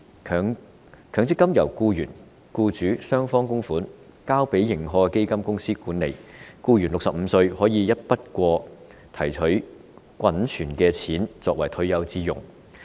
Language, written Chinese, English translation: Cantonese, 強積金由僱員和僱主雙方供款，交由認可的基金公司管理，僱員在65歲時便可以一筆過提取滾存的強積金作為退休之用。, With contributions from both employers and employees the MPF schemes are managed by approved fund companies . The accumulated MPF benefits can be withdrawn in one go by an employee for retirement when he turns 65